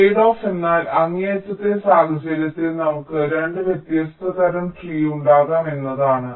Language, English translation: Malayalam, tradeoff means we can have, in the extreme case, two different kinds of trees